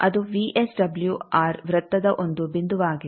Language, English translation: Kannada, That is one point of the VSWR circle